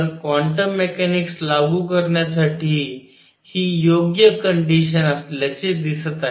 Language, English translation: Marathi, So, this seems to be the right condition for applying quantum mechanics